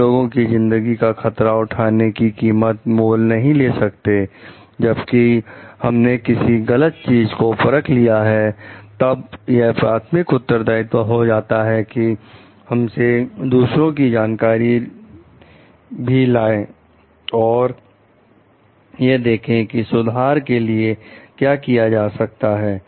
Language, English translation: Hindi, We cannot afford to take risk with the life of people, when we have detected something is wrong it is a primary responsibility to like bring it to the notice of others and see like what corrective actions can be taken about it